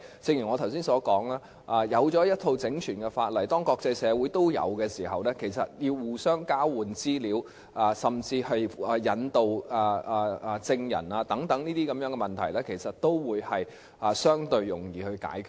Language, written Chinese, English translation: Cantonese, 正如我剛才所說，當訂立了一套整全的法例，而國際社會亦同時有這些法例時，要互相交換資料甚至引渡證人等問題都會相對地容易解決。, As I said just now when a set of comprehensive laws are put in place and when the same is enacted in the international community in tandem it would be easier to resolve such problems as exchange of information and even extradition of witnesses etc